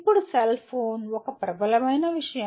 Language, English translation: Telugu, Now a cellphone is a dominant thing